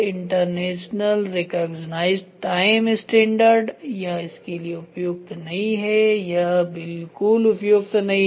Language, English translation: Hindi, Internationally recognised time standard it is not suitable for this it is not suitable at all